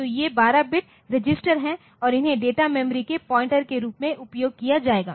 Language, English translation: Hindi, So, these are 12 bit registers and they will be used as pointed to the data memory ok